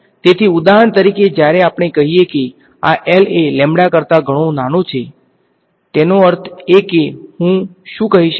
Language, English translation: Gujarati, So, for example, when let us say this L is much smaller than lambda so; that means, what can I say